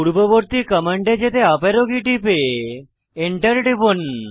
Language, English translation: Bengali, Press the up arrow key to get the previous command and Press Enter